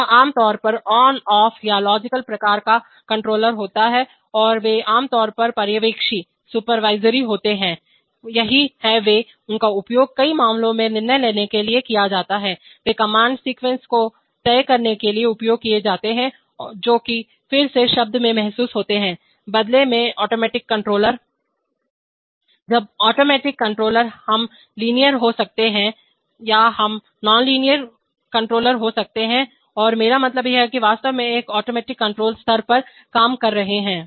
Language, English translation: Hindi, It is generally on/off or logical kind of control and they are generally supervisory in nature, that is they are, they are used to decide in many cases, they used to decide the command sequences which are again realized in term, in turn by the automatic controller, when the automatic controllers we could have linear or we could have non linear controllers and I mean which are actually working at an working at an automatic control level